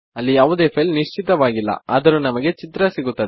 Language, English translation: Kannada, Theres no file specified, but you get the picture